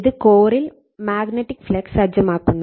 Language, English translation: Malayalam, And your which sets up in magnetic flux in the core